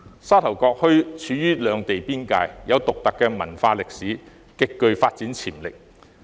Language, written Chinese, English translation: Cantonese, 沙頭角墟處於兩地邊界，有獨特文化歷史，極具發展潛力。, Sha Tau Kok Town which is located along the boundary between the two places and has a unique culture and history has great potential for development